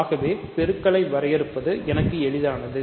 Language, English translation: Tamil, So, it is easy for me to define the multiplication